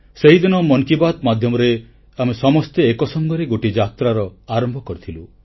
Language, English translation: Odia, The medium of 'Mann Ki Baat' has promoted many a mass revolution